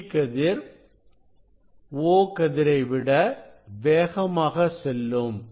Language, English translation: Tamil, E ray will move faster than the O ray